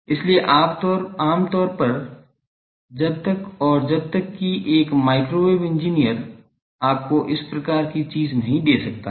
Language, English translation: Hindi, So, in generally unless and until a on a microwave engineer can give you a this type of thing